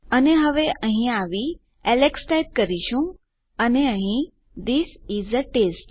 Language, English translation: Gujarati, And now we come here and you can type Alex and here This is a test